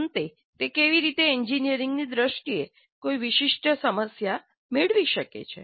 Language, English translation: Gujarati, And finally, how does it get a specific problem in engineering terms